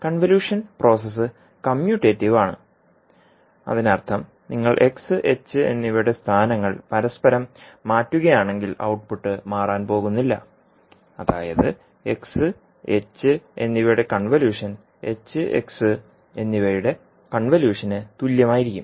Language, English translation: Malayalam, Now the convolution process is commutative, that means if you interchange the positions of x and h, the output is not going to change that means convolution of x and h will be same as convolution of h and x